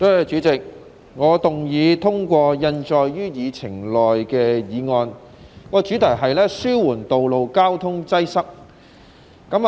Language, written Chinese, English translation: Cantonese, 主席，我動議通過印載於議程內的議案，主題是"紓緩道路交通擠塞"。, President I move that the motion on Alleviating road traffic congestion as printed on the Agenda be passed